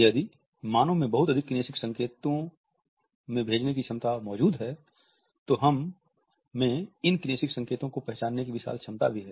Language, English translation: Hindi, If the capacity of human beings to send in numerous kinesic signals exists then our capacity to recognize kinesic signals is also potentially immense